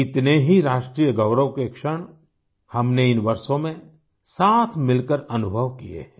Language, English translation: Hindi, Together, we have experienced many moments of national pride in these years